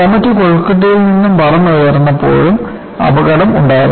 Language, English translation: Malayalam, In fact, there was also an accident of Comet flying out of Calcutta